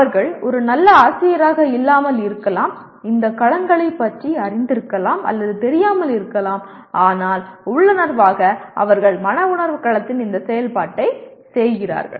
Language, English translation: Tamil, They may not be a good teacher, may or may not be aware of these domains and so on but intuitively they seem to be performing this activity in the affective domain